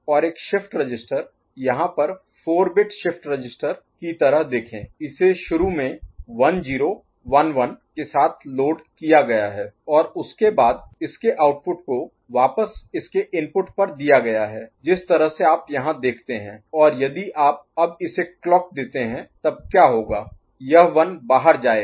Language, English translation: Hindi, And a shift register, like a 4 bit shift register over here see it is loaded with 1 0 1 1, initially and after the output of it is fed back to the input of it the way you see here and if you now clock it, then what will happen this one will go out right